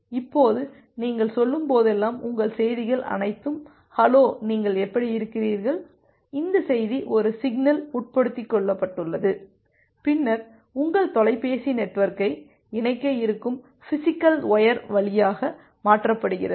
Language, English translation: Tamil, Now all your messages like whenever you are saying: hello, how are you this message is embedded to a signal, and then transferred over the physical wire which is there to connect your telephone network